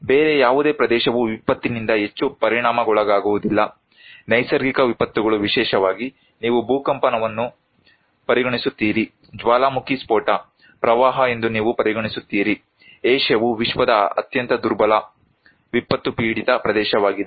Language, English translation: Kannada, No other region is that much affected by disaster; natural disasters particularly, well you consider earthquake, you consider volcanic eruption, flood; Asia is the most vulnerable, most disaster prone region in the world